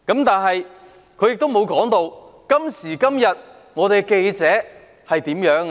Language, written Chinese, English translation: Cantonese, 但是，他沒有提到，今時今日的記者是怎樣的呢？, However he did not mention what the journalists are like nowadays